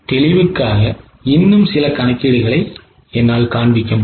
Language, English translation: Tamil, I will show some more calculations for clarity